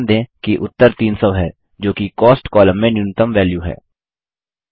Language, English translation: Hindi, Note, that the result is 300 which is the minimum amount in the Cost column